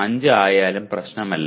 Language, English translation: Malayalam, 05 strictly does not matter